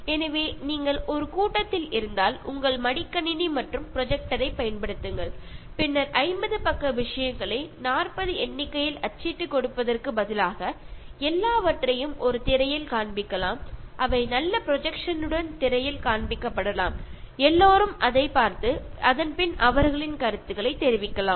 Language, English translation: Tamil, So, if you are in a meeting so use your laptop and a projector and then you can show everything on a screen instead of giving 40 printouts of 50 page materials which can be just shown on the screen with good projection and everybody can see and then comment on that